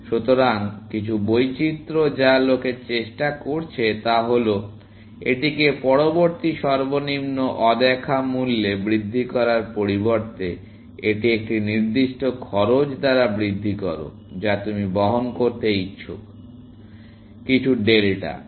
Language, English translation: Bengali, So, some variations that people have tried is that; instead of incrementing it by to the next lowest unseen value, increment it by a fixed cost, that you are willing to bear, essentially; some delta